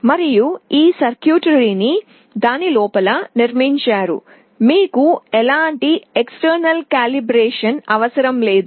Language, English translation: Telugu, And this has all this circuitry built inside it, you do not need any kind of external calibration